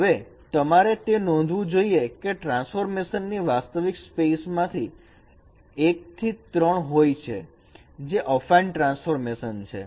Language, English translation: Gujarati, Now you should note that the transformation from the original space pi 1 to pi 3 that is an affine transformation